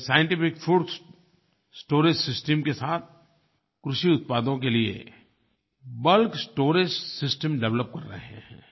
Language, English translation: Hindi, They are developing the bulk storage system for agricultural products with scientific fruits storage system